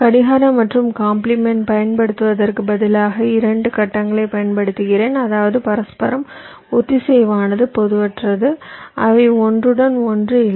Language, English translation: Tamil, instead of using a clock and its compliments, i am using two phases whose means on period mutually are disjoint, they do not overlap